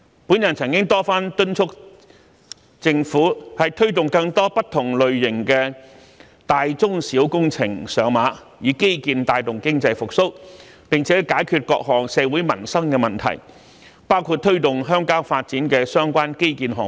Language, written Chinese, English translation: Cantonese, 我曾多番敦促政府推動更多不同類型的大中小工程上馬，以基建帶動經濟復蘇，並解決各項社會民生的問題，包括推動鄉郊發展的相關基建項目。, I have repeatedly urged the Government to facilitate the implementation of large medium and small projects of different varieties so as to stimulate economic recovery by promoting infrastructure development and solve various social and livelihood problems . And these projects include those that promote rural development